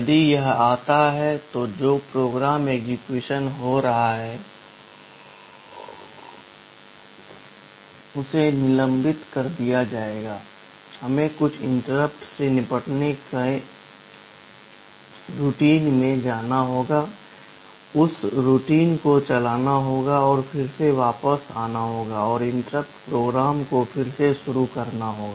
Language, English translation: Hindi, If it comes, the program that is executing will be suspended, we will have to go to some interrupt handling routine, run that routine and then again come back and resume the interrupted program